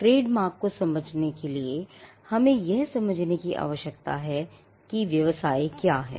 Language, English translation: Hindi, So, to understand trademarks, we need to understand what businesses are